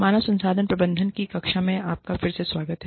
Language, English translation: Hindi, Welcome back, to the class on, Human Resources Management